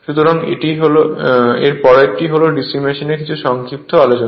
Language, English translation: Bengali, So, next is these are all some brief discussion of the DC machine